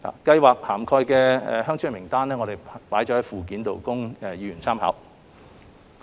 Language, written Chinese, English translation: Cantonese, 計劃涵蓋的鄉村名單載於附件，供議員參考。, A list of the villages covered by the Subsidy Scheme is at Annex for Members reference